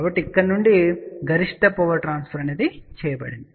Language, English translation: Telugu, So, from here maximum power got transferred